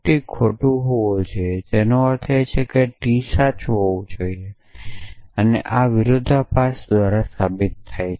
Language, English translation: Gujarati, Therefore, not of T must be false itself it means T must be true it is proved by contradiction